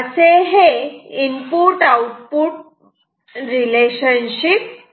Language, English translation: Marathi, So, this is the input output relationship